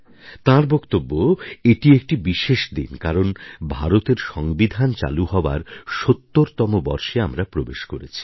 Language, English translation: Bengali, She says that this day is special because we are going to enter into the 70th year of our Constitution adoption